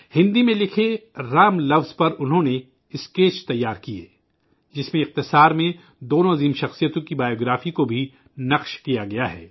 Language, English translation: Urdu, On the word 'Ram' written in Hindi, a brief biography of both the great men has been inscribed